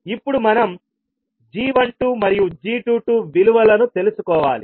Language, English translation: Telugu, Now we need to find out the value of g12 and g22